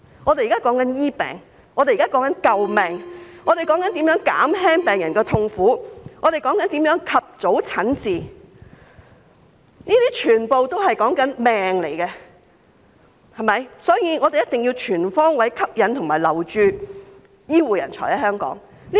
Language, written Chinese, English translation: Cantonese, 我們現在說的是治病，我們現在說的是救命，我們說的是如何減輕病人的痛苦，我們說的是如何讓病人及早診治，這些全都牽涉生命，所以我們必須全方位吸引醫護人才來港和留港。, We are talking about curing diseases; we are talking about saving lives; we are talking about relieving patients suffering; we are talking about providing patients with early treatment . All these concern peoples lives . We must therefore make efforts on all fronts to attract healthcare personnel to come and stay in Hong Kong